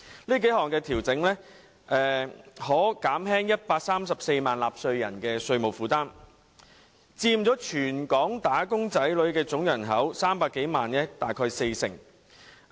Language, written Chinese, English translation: Cantonese, 這幾項調整可減輕134萬名納稅人的稅務負擔，他們佔全港"打工仔女"總人口300多萬人大概四成。, These several adjustments can ease the tax burden on 1.34 million taxpayers who account for about 40 % of all the 3 million - odd wage earners in Hong Kong